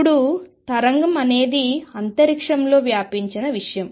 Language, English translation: Telugu, Now, a wave is something that is spread over space